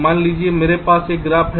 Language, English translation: Hindi, lets say, i have a net